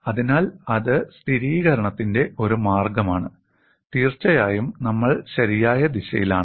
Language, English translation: Malayalam, So, that is one way of verification, indeed we are in the right direction